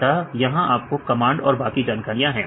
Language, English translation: Hindi, So, here these are your command the information right